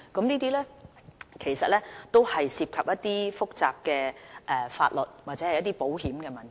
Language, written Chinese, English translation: Cantonese, 這些其實涉及複雜的法律或保險問題。, Actually all these involve complicated legal and insurance matters